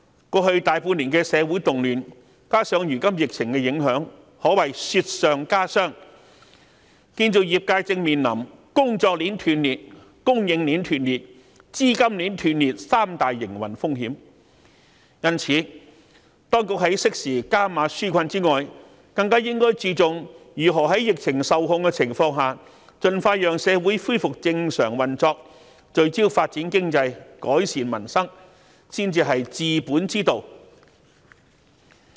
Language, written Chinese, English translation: Cantonese, 過去大半年的社會動亂，加上如今疫情影響，可謂雪上加霜，建造業界正面臨工作鏈、供應鏈及資金鏈斷裂三大營運風險，因此，當局在適時加碼紓困外，更應注重如何在疫情受控的情況下，盡快讓社會恢復正常運作、聚焦發展經濟及改善民生，才是治本之道。, The current novel coronavirus outbreak is only making things worse after the social turmoil that lasted for a greater part of last year . The construction sector is facing the interruption of three chains work chain supply chain and capital chain . Hence in addition to providing timely enhanced relief measures the authorities should concentrate more on how to restore societys normal functioning in an expeditious manner when the epidemic has been brought under control focusing on economic development and improving peoples livelihoods